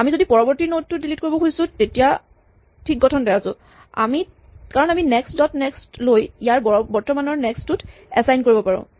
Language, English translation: Assamese, If we wanted to delete the next node then we are in good shape because we can take the next dot next and assign it to the current next